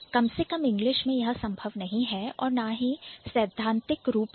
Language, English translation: Hindi, At least it's not possible in a word like English or theoretically also it's not possible